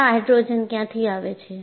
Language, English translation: Gujarati, And where do this hydrogen come from